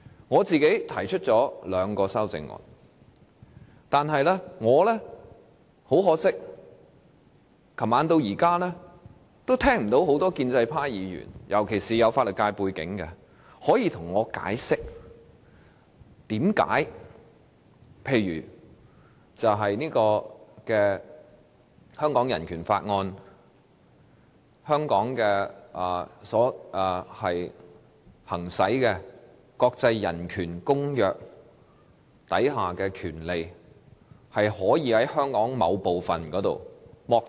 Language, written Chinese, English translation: Cantonese, 我提出了兩項修正案，但很可惜，由昨晚至今，我也聽不到建制派尤其是有法律界背景的議員向我解釋，為何例如《香港人權法案條例》及國際人權公約賦予的權利，可以在香港某個地方被剝奪？, I have proposed two amendments unfortunately since yesterday evening I have not heard any Member from the pro - establishment camp in particular Members with legal background explain why the rights conferred by the Hong Kong Bill of Rights Ordinance Cap . 383 BORO and the International Covenant on Human Rights can be denied in a certain place in Hong Kong